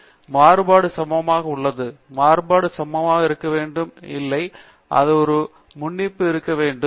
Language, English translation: Tamil, For example, variance being equal am I assuming the variability to be equal, no, and thatÕs a default option as well